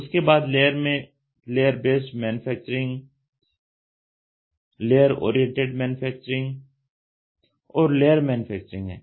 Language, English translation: Hindi, Layer: layer based manufacturing, layer oriented manufacturing, layer manufacturing